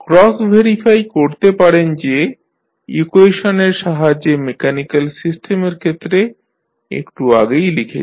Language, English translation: Bengali, So, you can cross verify with the help of the equation which we just written in case of the mechanical system